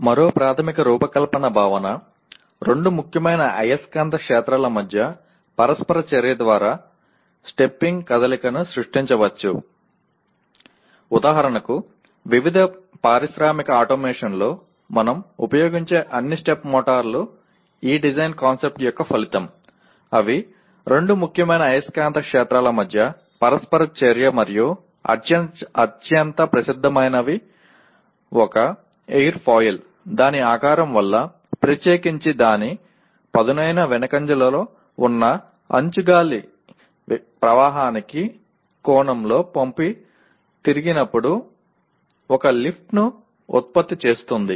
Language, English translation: Telugu, Another fundamental design concept, stepping movement can be created through interaction between two salient magnetic fields for example all the step motors that we use in various industrial automation are the result of this design concept namely that interaction between two salient magnetic fields and the most famous one an airfoil by virtue of its shape, in particular its sharp trailing edge generates a lift when inclined at an angle to the air stream